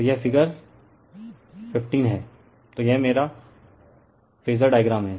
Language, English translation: Hindi, So, this is figure 15, so this is my phasor diagram right